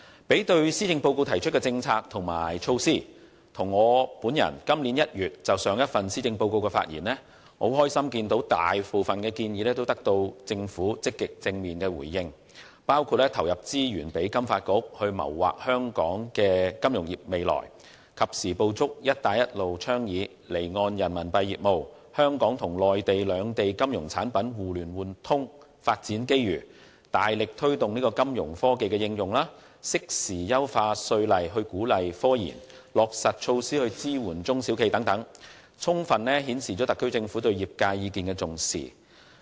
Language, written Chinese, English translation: Cantonese, 將施政報告提出的政策和措施與我在今年1月就上一份報告的發言內容作比較，我很高興大部分建議均獲得政府積極和正面的回應，包括投放資源讓香港金融發展局謀劃香港金融業的未來，及時捕捉"一帶一路"倡議的離岸人民幣業務和香港與內地兩地金融產品互聯互通等發展機遇，大力推動金融科技的應用，適時優化稅務法例以鼓勵科研，以及落實措施支援中小企業等，充分顯示特區政府對業界意見的重視。, Comparing the policies and initiatives set out in the Policy Address with the content of my speech delivered in January about the previous policy address I am very delighted to see that most of the proposals have received positive responses from the Government which include allocating resources to the Financial Services Development Council FSDC to work on the future of Hong Kongs financial industry; capturing the development opportunities arising from the offshore Renminbi RMB business and the mutual access mechanisms between Hong Kong and the Mainland for the trading of financial products under the Belt and Road Initiative; vigorously promoting the application of financial technologies; timely improving tax laws to encourage scientific research as well as implementing measures to support small and medium enterprises . All these fully reflected that the SAR Government has attached great importance to industrys views